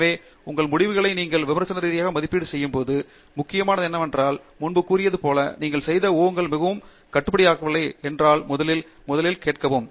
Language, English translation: Tamil, So, what is more important is when you critically evaluate your results, to ask first of all if the assumptions that you have made are not too restricted as I remarked earlier